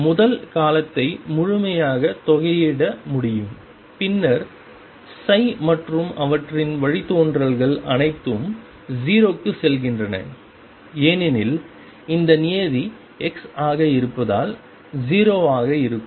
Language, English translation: Tamil, The first term can be integrated fully and since psi and their derivatives all go to 0 as x tends to infinity this term is going to be 0